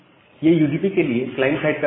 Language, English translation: Hindi, So, this is the client side code for the UDP